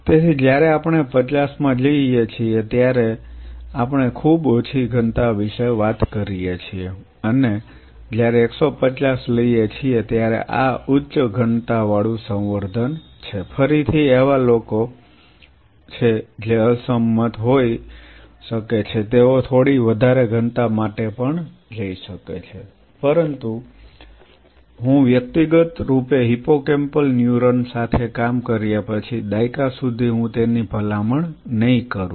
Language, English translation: Gujarati, So, when we go for 50 we talk about a very low density and it took 150 these are high density cultures again there are people who may disagree they can go a little higher also, but I personally after working with hippocampal neuron for more than a decade I will not recommend that